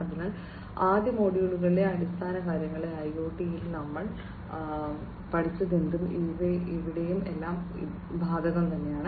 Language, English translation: Malayalam, So, here whatever we have learned about in IoT in the fundamentals in the first module, everything is applicable here as well